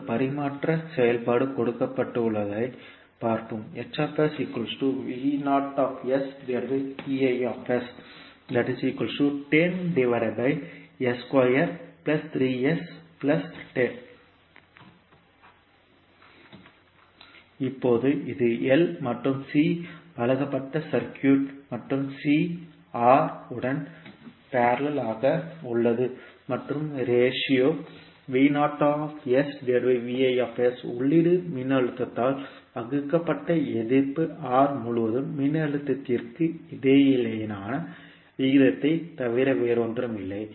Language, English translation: Tamil, Now let us say that this is the circuit where L and C are presented and C is in parallel with R and ratio V naught by Vis is nothing but the ratio between voltage across resistance R divided by input voltage